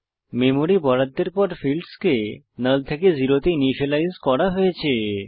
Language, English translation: Bengali, After the memory is allocated for the object the fields are initialized to null or zero